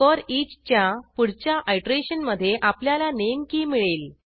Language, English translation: Marathi, In the next iteration of foreach, Name key is returned